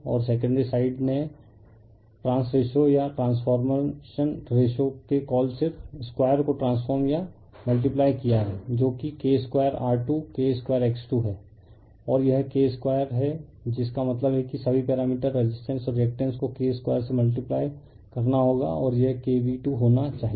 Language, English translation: Hindi, And secondary side you have transform by multiplying your what you call just square of the trans ratio or transformation ratio that is K square R 2, K square X 2 and this is K square all that means, all the parameters resistance and reactance you have to multiply by K square and this should be K V 2